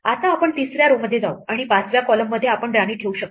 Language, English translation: Marathi, Now, we move to the third row and in the 5th column we can place a queen